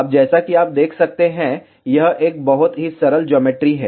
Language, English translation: Hindi, Now, as you can see it is a very very simple geometry